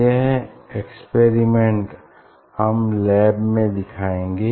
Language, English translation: Hindi, I will demonstrate this experiment in the laboratory